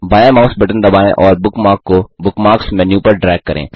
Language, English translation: Hindi, * Press the left mouse button, and drag the bookmark to the Bookmarks menu